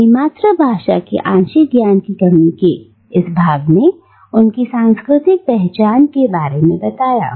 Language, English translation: Hindi, And this sense of lack of her partial knowledge of her mother tongue has informed her cultural identity